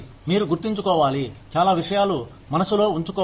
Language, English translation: Telugu, You need to keep, so many things in mind